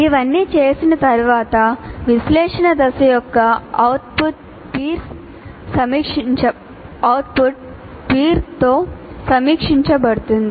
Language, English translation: Telugu, And having done all this, the output of the analysis phase is peer reviewed